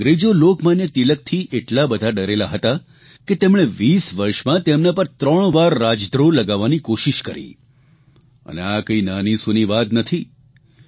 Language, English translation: Gujarati, The British were so afraid of Lok Manya Tilak that they tried to charge him of sedition thrice in two decades; this is no small thing